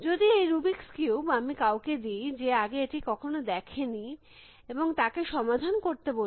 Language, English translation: Bengali, If I were to give someone this rubrics cube, who has lots seen at before and ask that person to solve the rubrics cube